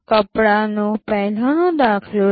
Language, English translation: Gujarati, Take the earlier example of clothes